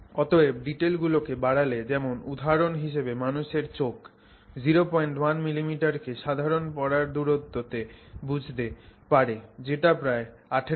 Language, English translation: Bengali, So, human eye for example can resolve roughly point 1 millimeter in a typical reading distance which is about 18 inches